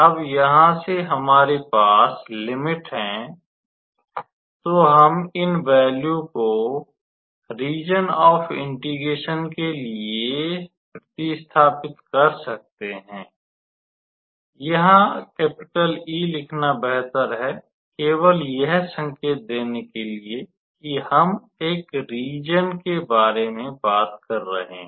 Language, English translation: Hindi, So, now that we have the limit, we can substitute for these values on this region of integration it is better to write E here, just to signify that we are talking about a region